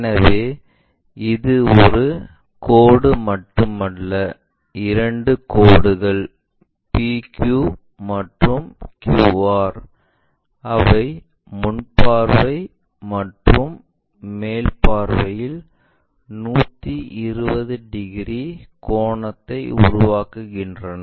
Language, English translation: Tamil, So, it is not just one line, but two lines PQ and QR, they make an angle of 120 degrees between them in front and top, in the front views and top views